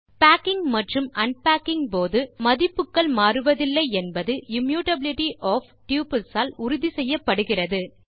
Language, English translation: Tamil, Immutability of tuples ensure that values are not changed during the packing and unpacking